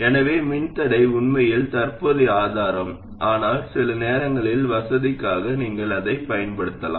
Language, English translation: Tamil, So a resistor is really a poor man's current source but sometimes just for the sake of convenience you can use that